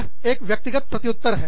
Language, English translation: Hindi, It is the individual's response